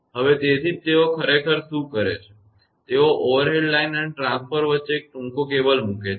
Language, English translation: Gujarati, So, that is why; what they do actually; they put a short cable between the overhead line and the transformer